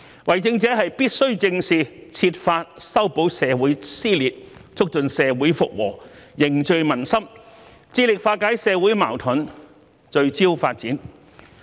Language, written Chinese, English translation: Cantonese, 為政者必須正視這些問題，設法修補社會撕裂，促進社會復和、凝聚民心，致力化解社會矛盾、聚焦發展。, It is imperative that public officers should face such conflicts squarely and try their best to mend social rifts promote restoration of social harmony and foster social cohesion in an effort to resolve social conflicts and focus on development